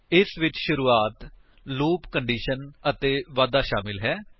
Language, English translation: Punjabi, It consists of initialization, loop condition and increment